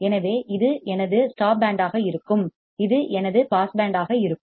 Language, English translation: Tamil, So, this will be my stop band this will be my pass band